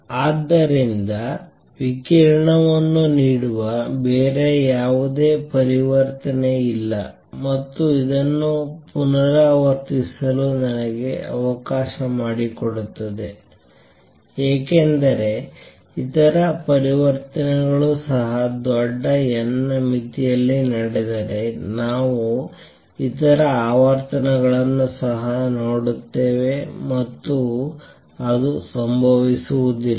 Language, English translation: Kannada, So, there is no other transition that gives out radiation and why is that let me repeat because if other transitions also took place in large n limit, we will see other frequencies also and that does not happens